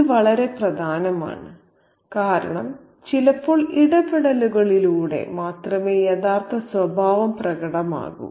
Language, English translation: Malayalam, This is very, very important because sometimes only through interactions the real character surfaces